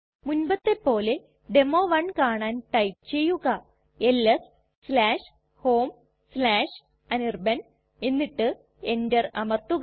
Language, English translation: Malayalam, As before to see the demo1 type ls/home/anirban and press enter